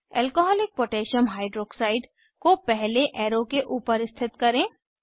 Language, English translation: Hindi, Position Alcoholic Potassium Hydroxide (Alc.KOH) above first arrow